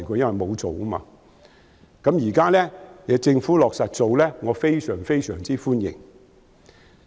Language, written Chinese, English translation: Cantonese, 現在政府落實去做，我非常歡迎。, Now the Government has undertaken to do it and this I very much welcome